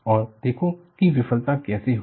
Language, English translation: Hindi, And really, look at how the failure happened